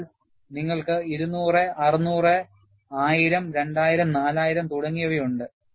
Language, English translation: Malayalam, So, you have 200, 600, 1000, 2000, 4000 etcetera